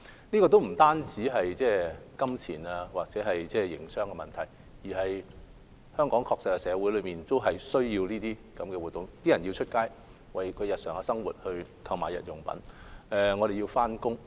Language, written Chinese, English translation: Cantonese, 這不單是金錢或營商的問題，而是香港社會確實需要這些活動，包括市民要外出為日常生活購買日用品；我們也要上班等。, This is not a matter related merely to money or business operation but Hong Kong society is indeed in need of these activities such as members of the public going out to purchase daily necessities for their daily life; and we also have to go to work etc